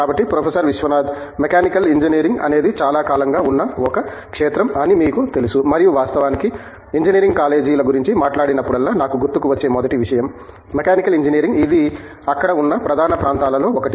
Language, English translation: Telugu, Viswanath, we do have you know Mechanical Engineering is a field that is been around for a long time and in fact, I mean I think whenever we talk of Engineering colleges thatÕs the first thing that immediately comes to mind, Mechanical Engineering is there, it is one of the core areas that is there